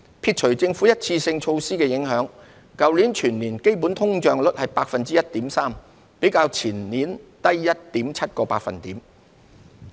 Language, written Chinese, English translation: Cantonese, 撇除政府一次性措施的影響，去年全年基本通脹率為 1.3%， 較前年低 1.7 個百分點。, Netting out the effects of the Governments one - off measures the underlying inflation rate was 1.3 % for last year as a whole down 1.7 percentage points from the year before